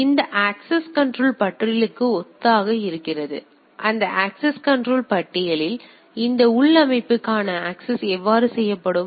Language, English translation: Tamil, So, it is something which is called which is also synonymous to this access control lists like so, how this access to this internal systems will be done this access control list